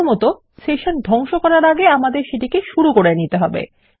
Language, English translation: Bengali, First of all, before we destroy our session we need to start it